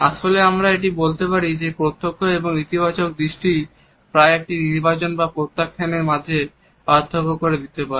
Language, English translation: Bengali, In fact, it can be said that a direct and positive eye contact can often make the difference between one selection or rejection